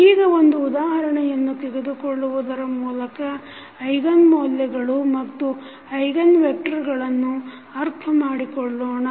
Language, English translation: Kannada, Now, let us take one example to understand the eigenvalues and the eigenvectors